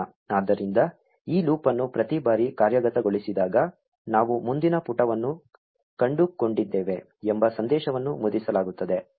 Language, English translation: Kannada, So, every time this loop executes, this message saying that we found a next page will be printed